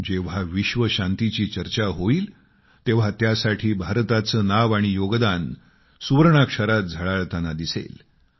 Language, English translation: Marathi, Wherever there will be a talk of world peace, India's name and contribution will be written in golden letters